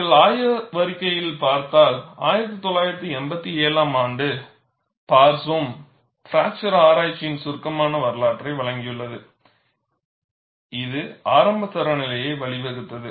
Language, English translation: Tamil, And if you look at the literature, Barsoum, in 1987 has provided a succinct history of the fracture research, that led to the initial series of standards